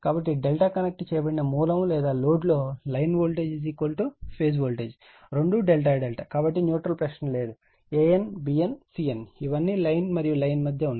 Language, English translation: Telugu, So, for delta connected source or load line voltage is equal to phase voltage because, both are delta delta, there is no question neutral no an bn cn these all line to line